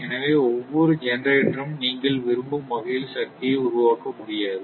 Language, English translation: Tamil, So, every every generator, every generator cannot generate power the way you want